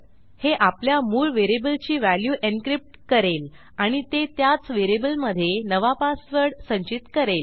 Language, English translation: Marathi, This will encrypt our original variable value and store a new password code in the same variable